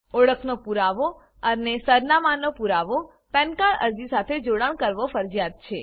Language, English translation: Gujarati, Attaching proof of identity and proof of address with a PAN application is mandatory